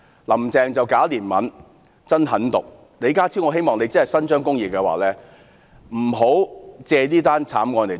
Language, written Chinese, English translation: Cantonese, "林鄭"假憐憫、真狠毒，若李家超局長真的要伸張公義，不要借此慘案"過橋"。, Carrie LAM pretends to be merciful but is genuinely malicious . If Secretary John LEE truly wishes to do justice to Hong Kong people he should not piggyback on this homicide